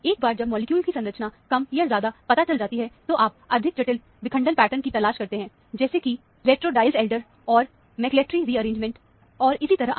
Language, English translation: Hindi, Once the structure of the molecule is more or less ascertained, then, you look for the more complex fragmentation patterns, like retro Diels Alder and McLafferty rearrangement, and so on